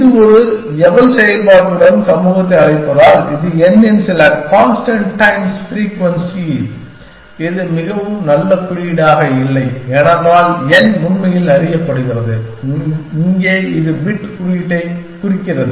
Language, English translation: Tamil, Because it optimization community calls with an eval function minus some constant times frequency of n, this is not very good notation, because n is really known and here it is a bit that is being saying the index of the bit